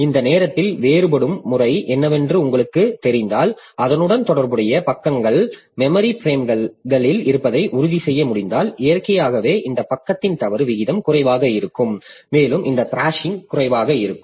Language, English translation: Tamil, So, at any point of time, if you know what is the referencing pattern and if you can ensure that the corresponding pages are there in the memory frames, then naturally this page fault rate will be low and this thrashing will be less